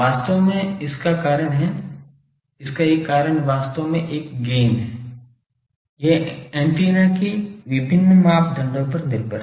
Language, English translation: Hindi, Actually the reason is; one of the reason is this actually this gain function, this is dependent on various parameters of the antenna